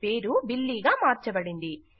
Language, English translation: Telugu, Our name has changed to Billy